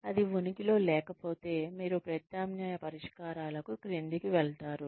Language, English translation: Telugu, If it does not exist, then you move down to alternate solutions